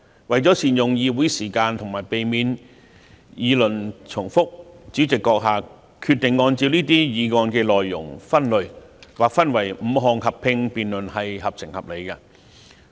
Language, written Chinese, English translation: Cantonese, 為了善用議會時間及避免議論重複，主席閣下決定按照這些議案的內容分類，劃分為5項合併辯論，做法合情合理。, In order to make effective use of the Councils time and avoid repetition of arguments you have decided to categorize these motions based on their contents to conduct five joint debates . I think such an approach is sensible and reasonable